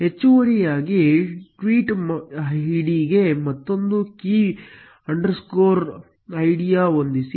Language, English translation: Kannada, Additionally, set another key underscore id to the tweet id